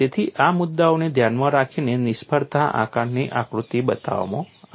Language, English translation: Gujarati, So, keeping these issues in mind, failure assessment diagram has been created